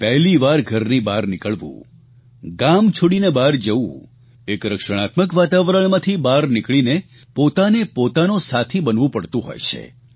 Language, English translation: Gujarati, Leaving home for the first time, moving out of one's village, coming out of a protective environment amounts to taking charge of the course of one's life